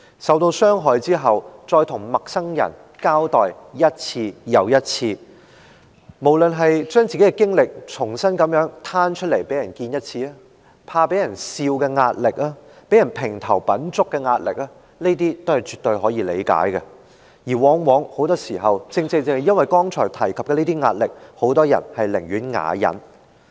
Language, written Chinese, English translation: Cantonese, 受到傷害後，再向陌生人一次又一次地交代事件，那些來自把自己的經歷重新攤出來讓人知道的壓力，怕被嘲笑的壓力，被評頭品足的壓力，是絕對可以理解的，而往往因為我剛才提及的這些壓力，很多人寧願啞忍。, Understandably there is pressure arising from the repeated recounting of the incident to strangers after the trauma the revelation of his or her experience to others again the fear of being ridiculed and the gossipy remarks of others . Many people choose unwillingly to remain silent because of the pressure I just mentioned